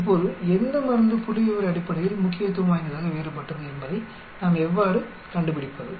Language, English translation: Tamil, Now how do we find out which drug is statistically different